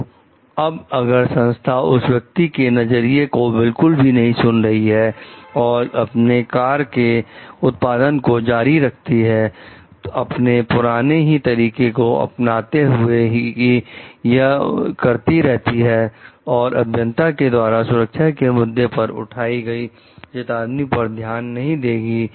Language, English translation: Hindi, Now, what if the organization is not listening to this person views and continues with the production of the car; follow its old ways of doing things are not taking into consideration the alarm raised by the engineer regarding the safety issues